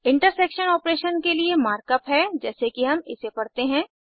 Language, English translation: Hindi, The markup for an intersection operation is again the same as we read it